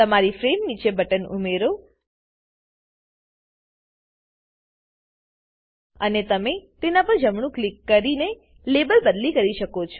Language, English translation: Gujarati, Add a button below your frame and You can change the label by right clicking on it